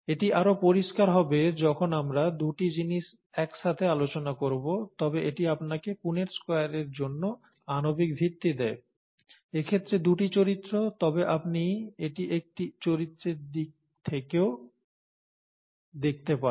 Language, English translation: Bengali, This will become clearer when we look at two things together, but this gives you the molecular basis for the Punnett Square itself, in this case two characters, but you could also look at it in terms of one character